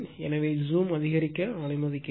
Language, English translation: Tamil, So, let me increase the zoom